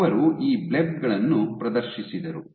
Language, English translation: Kannada, They exhibited these blebs